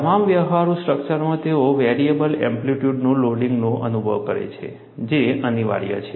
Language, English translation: Gujarati, In all practical structures, they experience variable amplitude loading, which is unavoidable